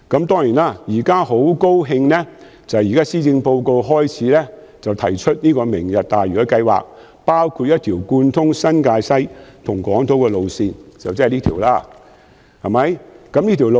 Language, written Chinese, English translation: Cantonese, 當然，我現在很高興聽到施政報告提出"明日大嶼"計劃，包括興建一條貫通新界西和港島的路線，就是這條路線。, At present I am certainly delighted to hear the Lantau Tomorrow plan proposed in the Policy Address including the construction of a rail line connecting New Territories West with Hong Kong Island